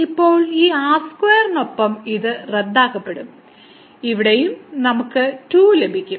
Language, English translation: Malayalam, So now this square will get cancel with this, so here also we will get 2